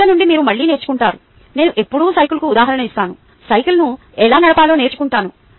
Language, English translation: Telugu, ok, you learn again from the mistakes, like, i always give the example of the bicycle: learning how to ride a bicycle